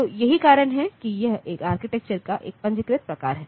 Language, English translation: Hindi, So, that is why it is a register type of architecture